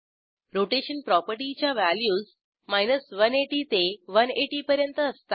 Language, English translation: Marathi, Rotation property has values from 180 to 180